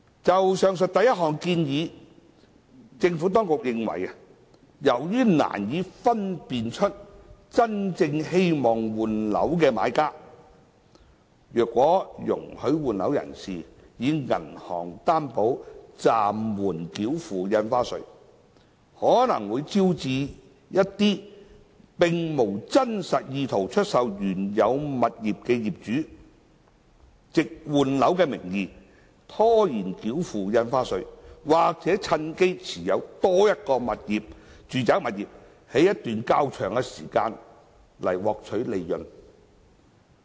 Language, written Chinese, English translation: Cantonese, 就上述第一項建議，政府當局認為，由於難以分辨真正希望換樓的買家，所以如果容許換樓人士以銀行擔保暫緩繳付印花稅，可能會招致一些並無真實意圖出售原有物業的業主，藉換樓的名義拖延繳付印花稅，或趁機持有多於一個住宅物業一段較長時間來獲取利潤。, On the first suggestion mentioned above the Administration is of the view that since it is difficult to identify who are those genuine buyers who wish to replace their original properties allowing persons replacing their properties to pay stamp duty with bank guarantee may invite some owners without genuine intention to dispose of their original properties to under the guise of property replacement defer payment of stamp duty or profit from holding more than one residential property for a longer period of time